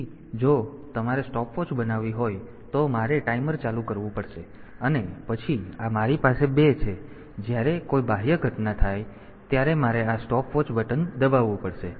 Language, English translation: Gujarati, So, if you want to make a stopwatch, then I have to start the timer, and then this I have 2 when some external event occurs, I have to I press this stopwatch button